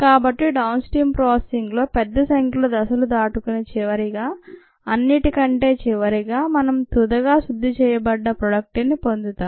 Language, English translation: Telugu, so, large number of steps in downstream processing and finally, at the end of it all, we have the final purified product